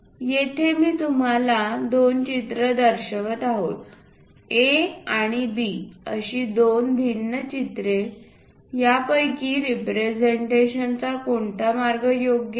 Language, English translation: Marathi, Here, I am showing you two pictures, two different pictures A and B which one is correct way of representation